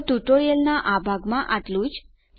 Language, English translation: Gujarati, So, this is all in this part of the tutorial